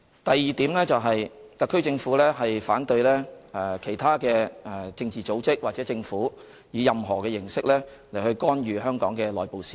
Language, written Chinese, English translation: Cantonese, 第二，特區政府反對其他政治組織或政府以任何形式干預香港的內部事務。, Secondly the HKSAR Government is opposed to any form of intervention in the internal affairs of Hong Kong by other political organizations or governments